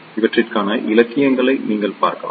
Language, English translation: Tamil, You can look into the literature for this